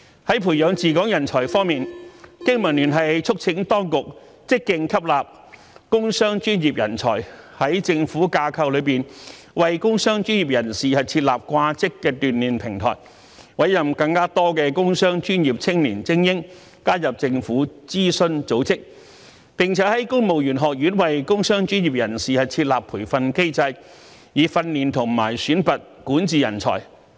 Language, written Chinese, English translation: Cantonese, 在培養治港人才方面，經民聯促請當局積極吸納工商專業人才，在政府架構內為工商專業人士設立"掛職"鍛鍊平台，委任更多工商專業青年精英加入政府諮詢組織，並在公務員學院為工商專業人士設立培訓機制，以訓練和選拔管治人才。, Regarding nurturing talents to administer Hong Kong BPA urges the authorities to actively absorb talents from the industrial business and professional sectors; create a platform within the government structure to provide temporary training positions for the elites from the industrial business and professional sectors; appoint more young talents from the industrial business and professional sectors to the advisory bodies of the Government; establish a training mechanism within the Civil Service College for those from the industrial business and professional sectors for the training and selection of talents in governance